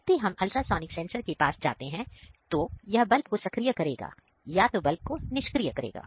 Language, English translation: Hindi, So, whenever we go near the ultrasonic sensor, it will activate the bulb or it will deactivate the bulb